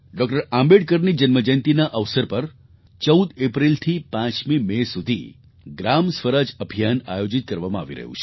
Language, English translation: Gujarati, Ambedkar from April 14 to May 5 'GramSwaraj Abhiyan,' is being organized